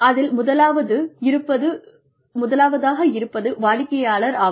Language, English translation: Tamil, First is the customer